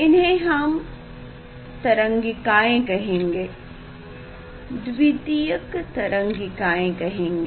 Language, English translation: Hindi, we will call them secondary wavelets